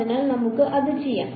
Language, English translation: Malayalam, So, let us just do that